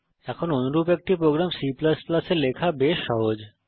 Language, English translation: Bengali, Now, writing a similar program in C++ is quite easy